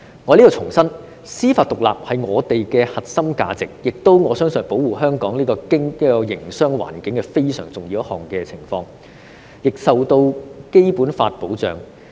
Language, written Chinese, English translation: Cantonese, 我想在此重申，司法獨立是我們的核心價值，而且我相信，司法獨立也是保護香港營商環境一個相當重要的元素，亦受到《基本法》保障。, I would like to reiterate here that judicial independence is our core value . Moreover I believe that judicial independence is also a very crucial element in protecting the business environment in Hong Kong which is safeguarded by the Basic Law as well